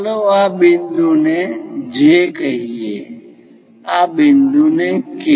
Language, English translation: Gujarati, Let us call this point J, this point K